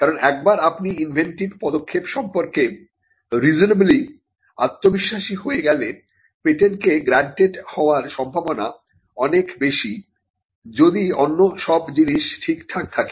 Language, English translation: Bengali, Because once you are reasonably confident about the inventive step, then the chances of the patent being granted other things being satisfied are much better